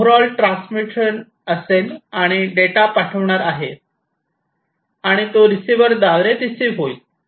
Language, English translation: Marathi, So, we have this transmitter sending the data to this receiver